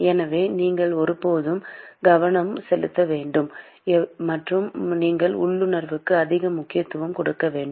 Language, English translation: Tamil, So, you must always pay attention and give utmost importance to your intuition